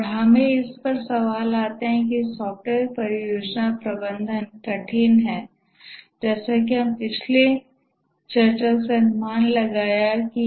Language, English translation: Hindi, And that brings us to the question that the software project management is hard as we might have guessed from the previous discussion